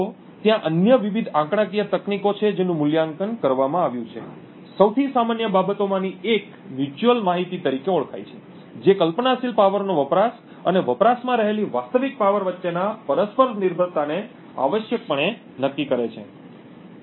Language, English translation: Gujarati, So, there are various other statistical techniques which have been evaluated, one of the most common things is known as the mutual information which essentially quantifies the mutual dependence between the hypothetical power consumed and the real power consumed